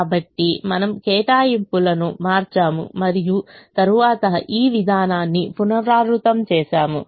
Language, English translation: Telugu, so we change the allocations and then repeat this procedure